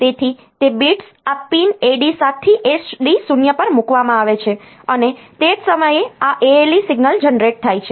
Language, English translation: Gujarati, So, those bits are put onto these pins AD 7 to AD 0, and simultaneously this ale signal is generated